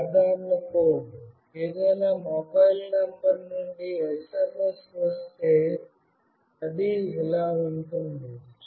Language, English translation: Telugu, This is a simple code; from any mobile number if the SMS comes, then it will do like this